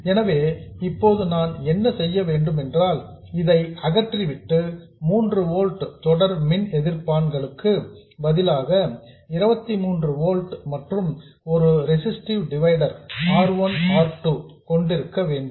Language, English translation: Tamil, I will remove this and instead of 3 volts with a series resistance I will have 23 volts and a resistive divider R1, R2